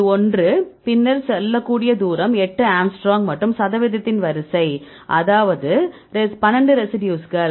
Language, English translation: Tamil, This one and then this one you can say distance is eight angstrom and the sequence of percentage, right that is 12 residues